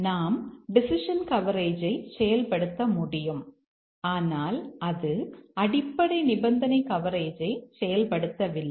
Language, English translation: Tamil, We could achieve the decision coverage but that did not achieve the basic condition coverage